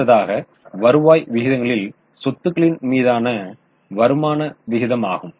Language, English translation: Tamil, Now the next ratio in the return ratios is return on assets